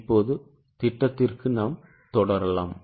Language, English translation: Tamil, Now let us proceed for the projection